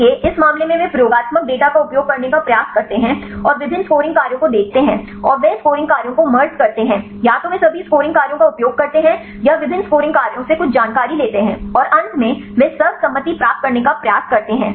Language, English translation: Hindi, So, in this case they try to use experimental data, and see different scoring functions and they merges scoring functions either they use all the scoring functions or take some information from different scoring functions and finally, they try to get the consensus one right in this case you can get the better scoring function right